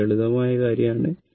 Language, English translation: Malayalam, It is simple thing